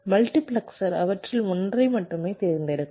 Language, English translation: Tamil, multiplexer will be selecting only one of them